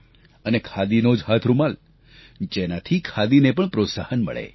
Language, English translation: Gujarati, And that too, a 'Khadi' handkerchief, so that it promotes 'Khadi'